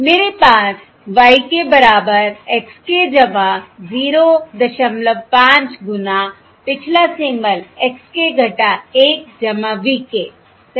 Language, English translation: Hindi, I have: y k equals x k plus point 5 times the previous symbol, x k minus 1 plus v k, right